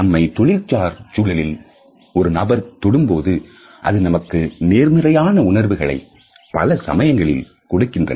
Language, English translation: Tamil, When another person touches us in a professional setting, it validates a positive feeling in most of the situations